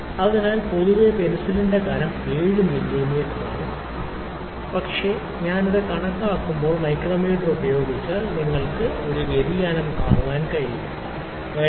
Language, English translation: Malayalam, So, in general the thickness of the pencil if you see is 7 mm but if I use it if I use the micrometer to calculate you can see this variation, 7